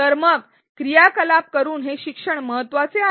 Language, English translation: Marathi, So, why are these learning by doing activities important